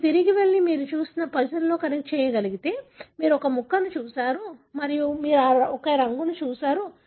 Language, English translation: Telugu, If you can go back and connect with the puzzle that you have seen, so you have looked at a piece and you have looked at a colour